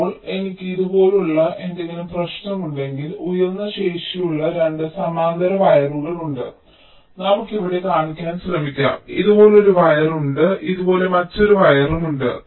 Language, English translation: Malayalam, ok, so now if i, if there is any issue like this, there are two parallel wires which has high capacitance, like say, lets try to show here there is a wire like this, there is another wire like this